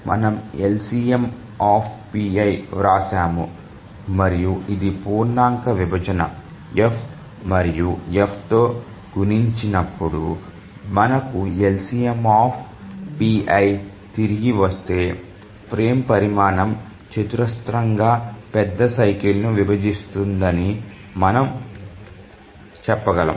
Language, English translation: Telugu, The major cycle you have written LCMPI and this is the integer division F and when multiplied by F if we get back the LCMPI then you can say that the frame size squarely divides the major cycle